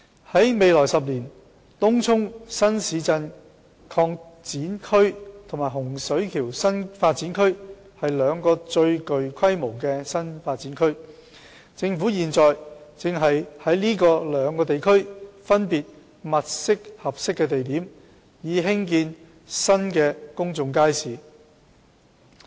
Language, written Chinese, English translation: Cantonese, 在未來10年，東涌新市鎮擴展區及洪水橋新發展區是兩個最具規模的新發展區，政府現正在這兩個地區分別物色合適的地點，以興建新公眾街市。, In the next decade the Tung Chung New Town Extension and Hung Shui Kiu New Development Area will be two new development areas of a considerable scale . The Government is now identifying suitable locations in these two areas respectively for the building of new public markets